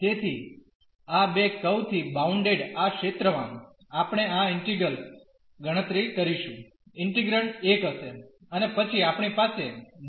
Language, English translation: Gujarati, So, this area bounded by these two curves we will compute this integral, the integrand will be 1 and then we have dy dx